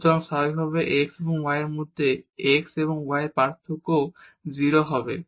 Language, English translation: Bengali, So, naturally the x and y variation in x and y will be also 0